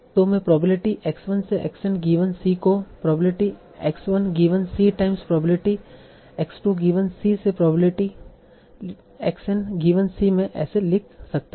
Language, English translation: Hindi, So I can write probability x1 to xn given c as probability x1 given c times probability x2 given c up to probability xn given c